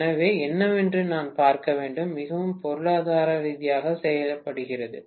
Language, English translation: Tamil, So, I have to see what is done most economically, got it